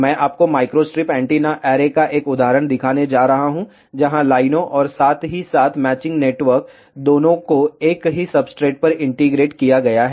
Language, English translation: Hindi, I am going to show you an example of microstrip antenna array, where feed lines as well as matching network both are integrated on the same substrate